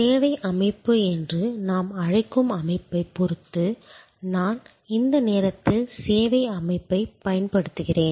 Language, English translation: Tamil, Dependent on what we call the service organization, I am at this moment using service organization